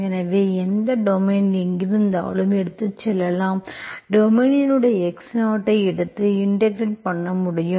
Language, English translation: Tamil, So you can take it from wherever in the domain, in the domain you take your x0 and you can integrate